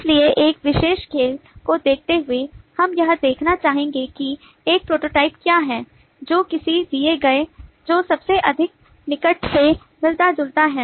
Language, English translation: Hindi, so, given a particular game, we would like to see what is a prototype that resembles the given one most closely